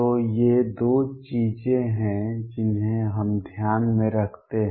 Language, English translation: Hindi, So, these are two things that we keep in mind